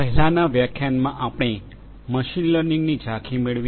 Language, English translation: Gujarati, In the previous lecture, we got an overview of machine learning